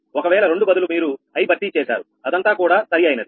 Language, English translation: Telugu, if two instead of two you replace i, thats all right